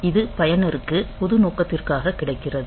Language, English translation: Tamil, So, this is available for the user for general purpose